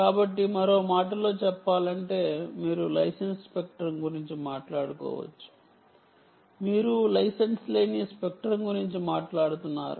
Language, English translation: Telugu, so, in other words, you could be talking about license spectrum